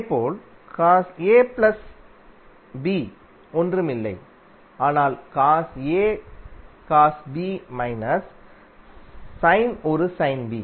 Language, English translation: Tamil, Similarly, cos A plus B is nothing but cos A cos B minus sin A sin B